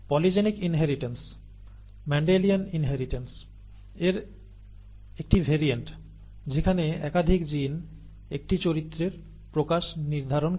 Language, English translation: Bengali, Polygenic inheritance is another variant again from Mendelian inheritance where multiple genes determine the expression of a character